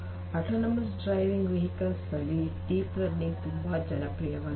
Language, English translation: Kannada, Deep learning has become very popular in autonomous driving vehicles